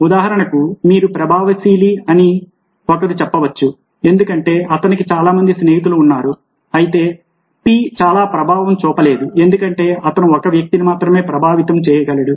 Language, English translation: Telugu, for instance, one can see that u is influential because he has so many friends, whereas p is not very influential because he can only influence one person